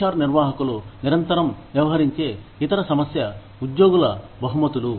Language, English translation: Telugu, The other issue, that HR managers, constantly deal with, is employee rewards